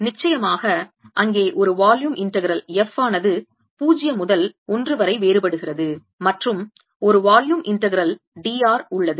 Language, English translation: Tamil, off course there's a volume integral f varies from zero to one and there is a volume integral d r